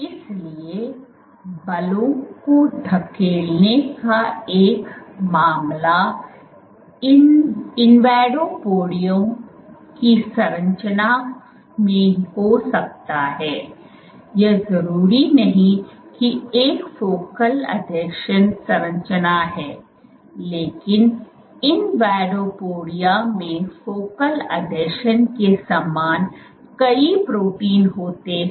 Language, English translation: Hindi, So, one case of pushing forces might be in the structures of invadopodia, it is not necessarily a focal adhesion structure, but invadopodia contains many proteins at invadopodia similar to that of focal adhesions